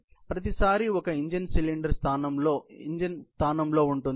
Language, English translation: Telugu, So, every time, there is an engine cylinder in place